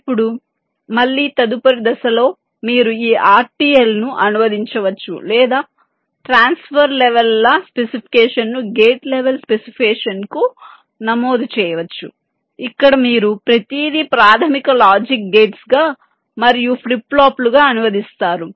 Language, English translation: Telugu, now again, in the next step you can translate this r t l or register transfer levels specification to gate level specification, where you translate everything into basic logic gates and flip flops